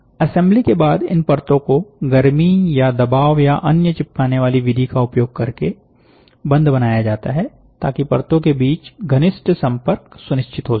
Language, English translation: Hindi, After assembly these layers are bonded using heat and pressure or another adhesive method to ensure intimate contact between the layers